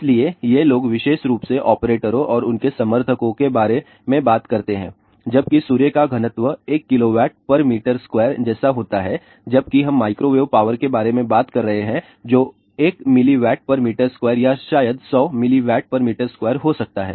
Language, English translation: Hindi, So, these people specially the operators and their supporters they talk about while sun density is something like 1 kilo watt per meter square whereas, we are talking about microwave power which could be as 1 milliwatt per meter square or maybe 100 milliwatt per meter square